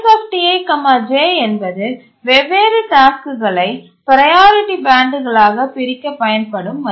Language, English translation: Tamil, Base TiJ is a value used by the operating system to separate different tasks into priority bands and Nice T